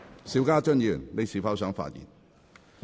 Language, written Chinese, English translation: Cantonese, 邵家臻議員，你是否想發言？, Mr SHIU Ka - chun do you wish to speak?